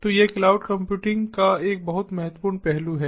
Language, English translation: Hindi, so that is a very important aspect of cloud computing